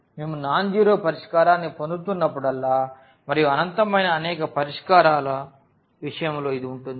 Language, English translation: Telugu, Whenever we are getting a nonzero solution and that will be the case of infinitely many solutions